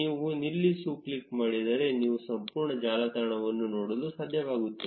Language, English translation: Kannada, If you click on stop, you will be able to see the entire network